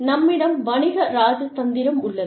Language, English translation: Tamil, And, we have, Commercial Diplomacy